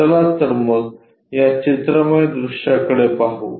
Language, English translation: Marathi, Let us look at that pictorial view